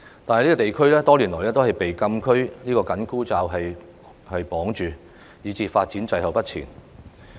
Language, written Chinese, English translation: Cantonese, 可是，該區多年來都被"禁區"這個緊箍咒綁住，以致發展滯後不前。, However the town has all along been tied up by its status as the frontier closed area which has hindered its development